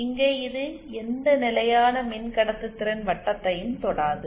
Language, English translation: Tamil, Here also it does not touch any constant conductance circle